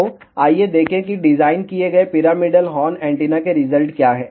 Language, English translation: Hindi, So, let us see what are the results of the designed pyramidal horn antenna